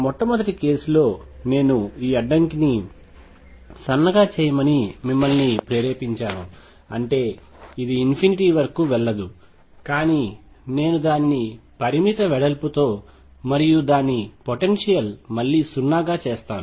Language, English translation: Telugu, The first case I also motivated you to think that if I make this barrier thin; that means, it does not go all the way to infinity, but I make it of finite width and potentiality become 0 again